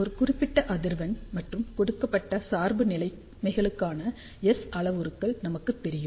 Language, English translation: Tamil, So, let us say S parameters are known to us at a given frequency and for given biasing conditions